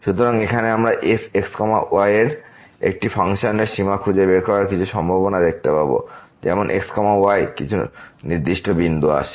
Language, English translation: Bengali, So, now, we will see some possibilities finding the limit of a function of as approaches to some particular point